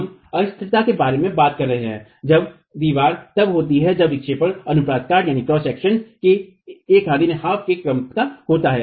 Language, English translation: Hindi, We are talking about instability being reached when the wall, when the deflection is of the order of one half of the cross section